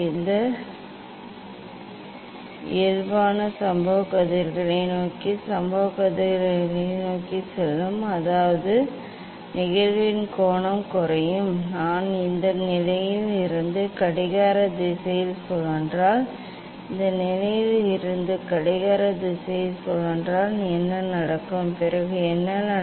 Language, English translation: Tamil, this normal will go towards the incident rays towards the incident rays so; that means, angle of the incidence will decrease and if I rotate clockwise from this position if I rotate clockwise from this position then what will happen then what will happen